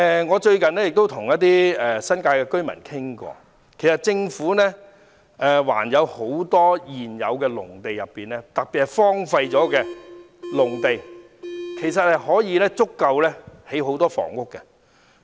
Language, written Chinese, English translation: Cantonese, 我最近與一些新界居民攀談，說到還有很多現成農地，特別是荒廢農地，足夠興建很多房屋。, Recently I talked to some members of the public living in the New Territories . They talked about the large amount of existing farmland especially the abandoned farmland which could be used for the construction of many housing units